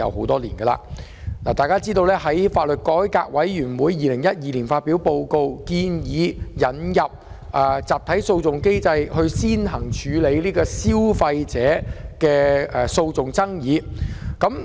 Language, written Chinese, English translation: Cantonese, 大家都知道，香港法律改革委員會曾在2012年發表報告，建議引入集體訴訟機制，並首先用於處理消費者的訴訟爭議。, As we all know the Law Reform Commission of Hong Kong LRC released a report in 2012 proposing the introduction of a mechanism for class actions starting with handling consumer disputes